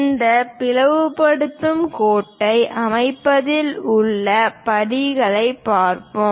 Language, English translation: Tamil, Let us look at the steps involved in constructing this bisecting line